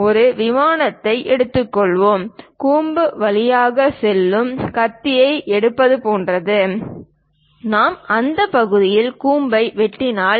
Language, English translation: Tamil, Let us take a plane, is more like taking a knife passing through cone; we can cut the cone perhaps at that section